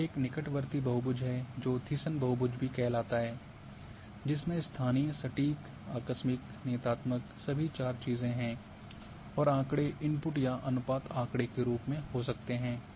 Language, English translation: Hindi, So, this is a proximal which is a Thiessen polygon is also called local, exact, abrupt, deterministic all four things are there and the data can be input data or ratio data